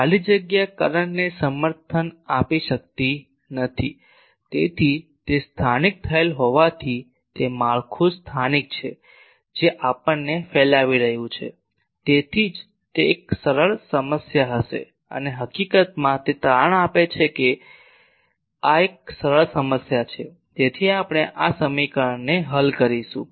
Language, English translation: Gujarati, A free space cannot support current, so since it is localized; it is localized over the structure that us radiating that is why it will be an easier problem and in fact, it turns out that this is an easier problem, so we will solve these equation